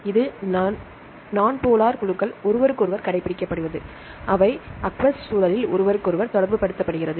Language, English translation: Tamil, It is the tendency of this nonpolar groups to adhere to one another, they come close to one another in an aqueous environment